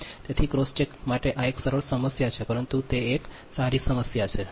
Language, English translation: Gujarati, so for a cross check, this is a simple problem, but it is a good problem